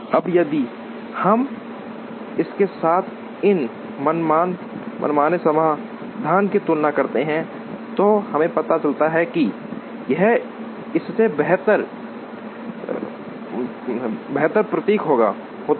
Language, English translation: Hindi, Now, if we compare this arbitrary solution here with this, we realize that, this seems to be better than this